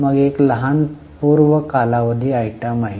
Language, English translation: Marathi, Then there is a small prior period item